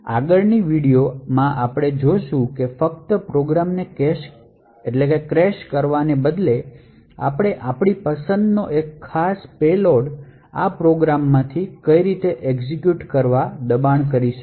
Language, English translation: Gujarati, So, the next video we will see that instead of just crashing the program we will force one particular payload of our choice to execute from this program